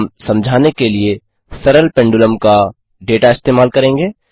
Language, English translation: Hindi, We will use data from a Simple Pendulum Experiment to illustrate